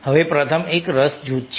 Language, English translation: Gujarati, first one is interest group